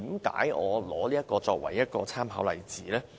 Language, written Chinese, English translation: Cantonese, 為何我以此作為參考例子？, Why do I cite the Stockholm Metro as an example?